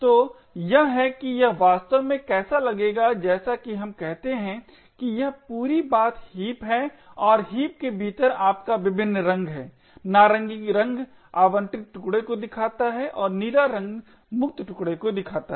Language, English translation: Hindi, say this entire thing is the heap and within the heap you have various chunks the orange color shows the allocated chunks and the blue color shows the free chunks